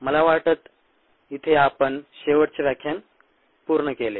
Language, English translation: Marathi, this is, think, where we finished up the last lecture